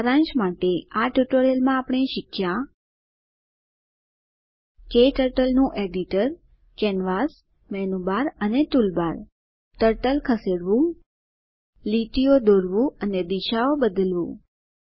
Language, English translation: Gujarati, In this tutorial, we will learn about KTurtle Window Editor Canvas Menu Bar Toolbar We will also learn about, Moving the Turtle Drawing lines and changing directions